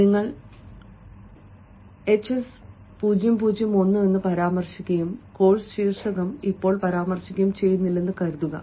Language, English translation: Malayalam, suppose, if you mention hs zero zero one and do not mention the course title, now recruiters are not able to understand what is this